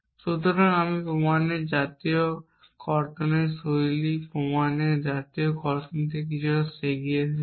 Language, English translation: Bengali, So, I have jumped a little bit ahead from the national deduction of style of proof in the national deduction style of proof